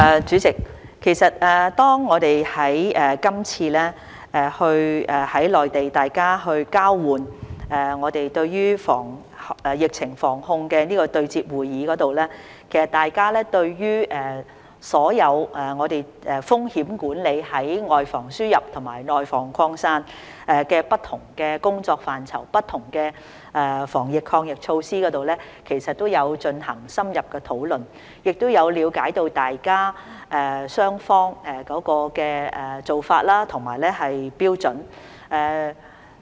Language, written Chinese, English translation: Cantonese, 主席，今次在內地的疫情防控工作對接會議上，大家對於所有風險管理、外防輸入和內防擴散的不同工作範疇及不同防疫抗疫措施，都有進行深入討論，也有了解雙方的做法和標準。, President during the meeting on anti - epidemic work in the Mainland we had an in - depth discussion on all the different work areas and anti - epidemic measures ranging from risk management to prevention of the importation of cases and the spreading of the virus in the community and both parties had gained understanding of the practices and standards of their counterparts